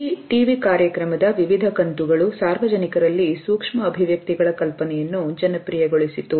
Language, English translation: Kannada, Various episodes of this TV show had popularized the idea of micro expressions in the public